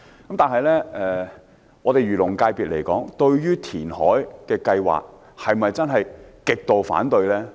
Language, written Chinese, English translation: Cantonese, 不過，漁農界別對填海計劃是否真的極度反對呢？, However is the agriculture and fisheries constituency extremely against the reclamation programme?